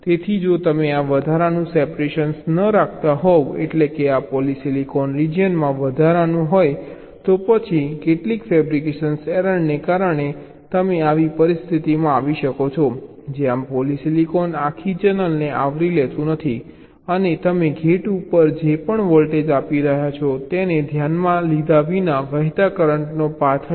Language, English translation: Gujarati, so if you do not keep this extra separation means extra this polysilicon region here, then because of some fabrication error you may land up in a situation like this where the polysilicon is not covering the whole channel and there will be a current flowing path, irrespective of the voltage you are applying to the gate right